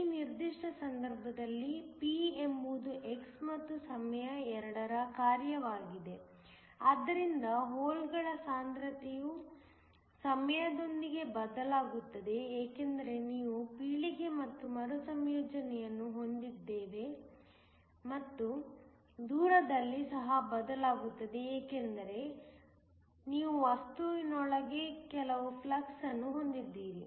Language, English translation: Kannada, In this particular case p is a function of both x and time so that, the concentration of holes changes with time because we have generation and recombination and it also changes with distance because, you have some flux within the material